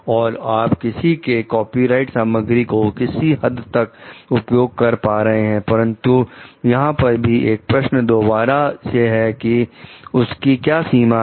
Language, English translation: Hindi, And you can like someone to some extent copy of the copyrighted material, but a question mark again is to what is the upper limit to it